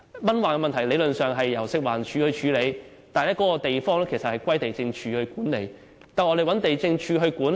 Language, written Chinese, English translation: Cantonese, 蚊患問題理論上由食物環境衞生署處理，但該處卻歸地政總署管理。, Theoretically it should be handled by the Food and Environmental Hygiene Department but the site is managed by the Lands Department